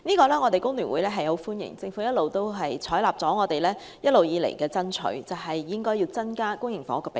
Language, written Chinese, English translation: Cantonese, 香港工會聯合會歡迎政府採納我們一直以來爭取增加公營房屋的比例。, The Hong Kong Federation of Trade Unions FTU welcomes the Governments acceptance of our ongoing petition for increasing the public housing ratio